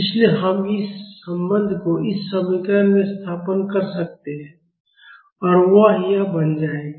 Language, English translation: Hindi, So, we can substitute this relation in this equation, and that will become this